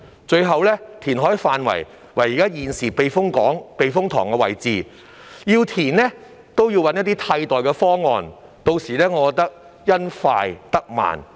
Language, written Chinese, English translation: Cantonese, 最後，填海範圍為現時避風塘的位置，即使要填海，也要先找替代避風塘，我認為到頭來只會因快得慢。, Lastly the reclamation area is where the typhoon shelter is currently located . Even if reclamation is to be carried out it is necessary to look for a replacement typhoon shelter first . I believe that at the end of the day such a hasty approach will only slow us down